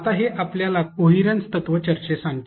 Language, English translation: Marathi, Now, this brings us to a discussion about coherence principle